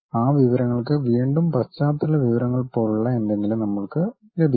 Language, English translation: Malayalam, And those information again we will have something like a background information